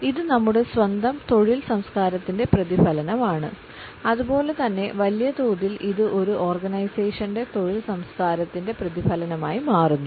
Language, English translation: Malayalam, It is also a reflection of our own work culture as well as at a larger scale it becomes a reflection of the work culture of an organization